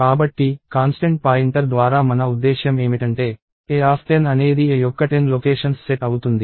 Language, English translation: Telugu, So, what I mean by the constant pointer is that a of 10 is actually a set of 10 locations